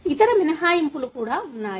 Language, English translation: Telugu, There are also other exceptions